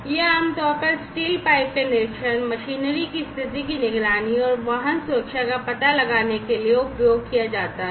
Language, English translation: Hindi, These are typically used for inspection of steel pipes, condition monitoring of machinery, and detection of vehicle safety